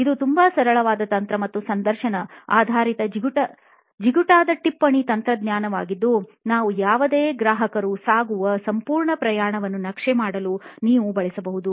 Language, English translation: Kannada, It is a very simple technique, and interview based sticky note technique that you can use to map the entire journey that any of your customer is going through